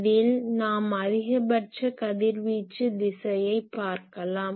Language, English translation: Tamil, In this case you see this is the maximum radiation direction